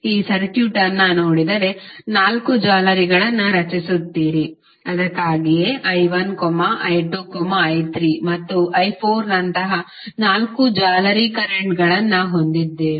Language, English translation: Kannada, If you see this circuit you will have four meshes created, so that is why we have four mesh currents like i 1, i 2, i 3 and i 4